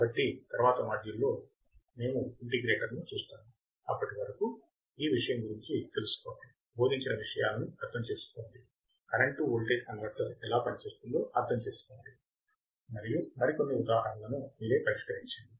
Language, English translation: Telugu, So, in the next module, we will see the integrator, till then learn about this thing; understand what has been taught, understand how the current to voltage converter works and solve few more examples by yourself